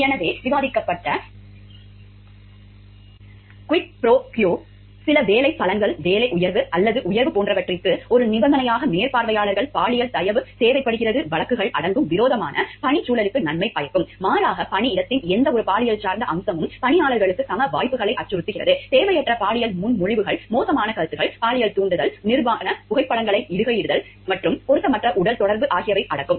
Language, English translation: Tamil, So, as discussed quid pro quo includes cases where supervisors require sexual favor as a condition for some employment benefit, a job promotion or a raise, it can take the form of a sexual threat of harm or sexual offer of a benefit in return for a benefit, hostile work environment by contrast is any sexually oriented aspect of the workplace that threatens the employees right to equal opportunities, it includes unwanted sexual proposals, lewd remarks, sexual leering, posting nude photos and inappropriate physical contact